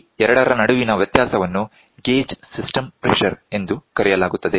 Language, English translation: Kannada, The difference between these two is called gauge system pressure